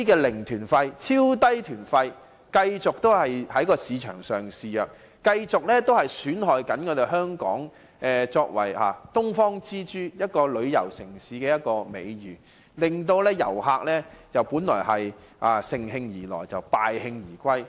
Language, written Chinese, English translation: Cantonese, 零團費和超低團費等問題繼續在市場上肆虐，損害香港作為"東方之珠"旅遊城市的美譽，令旅客本來乘興而來，卻敗興而返。, As the problem of zero or ultra - low fare tours remains rampant visitors arriving in high spirits are disappointed when leaving; the reputation of Hong Kong―the Pearl of the Orient―as a tourism city is damaged